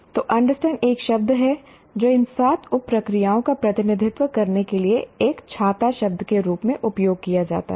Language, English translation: Hindi, So, understand is a word that is used to as a number of a word to represent these seven sub processes